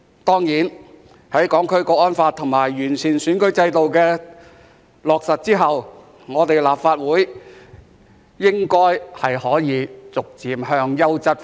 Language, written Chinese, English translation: Cantonese, 當然，在《香港國安法》和完善選舉制度落實後，立法會應該可以逐漸轉向優質化。, Of course after the implementation of the Hong Kong National Security Law and the improvement of the electoral system the Legislative Council should be able to gradually become a legislature of quality